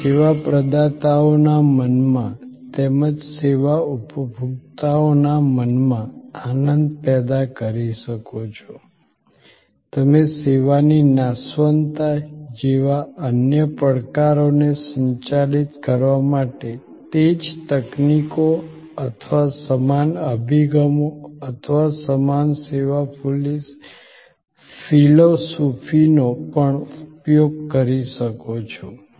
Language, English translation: Gujarati, You can create happiness in the minds of service providers as well in the minds of services consumers, you can also use those same techniques or same approaches or same service philosophy for managing the other challenges like perishability of the service